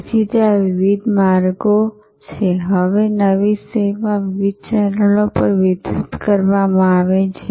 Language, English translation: Gujarati, So, there are different ways, now new service delivered over different channels